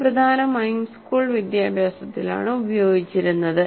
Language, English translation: Malayalam, It is mainly used in school education